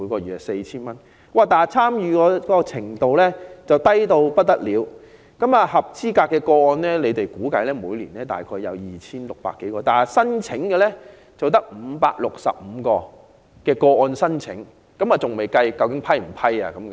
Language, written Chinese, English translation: Cantonese, 然而，此計劃的參與程度相當低，據當局估計，合資格個案每年約有 2,600 多宗，但提出申請的個案只有565宗，實際獲批的個案當然更少。, According to the Governments estimate there should be some 2 600 eligible cases per year; however the number of applications is on the low side at 565 not to mention the number of approved applications